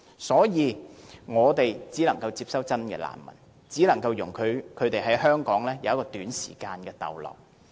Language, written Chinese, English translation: Cantonese, 所以，我們只能夠接收真正的難民，而且只能容許他們在香港短時間逗留。, Hence only genuine refugees can be admitted and they can only be allowed to stay in Hong Kong for a short period of time